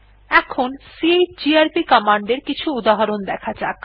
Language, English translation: Bengali, Now we will look at some examples of chgrp command